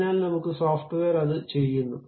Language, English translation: Malayalam, So, your software does that